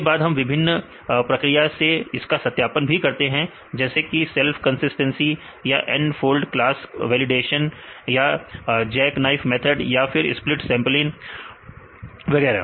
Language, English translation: Hindi, Then the various validation procedures like we consider back check or the self consistency or n fold class validation or Jack knife or split sampling and so on